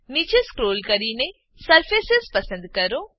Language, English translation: Gujarati, Scroll down and select Surfaces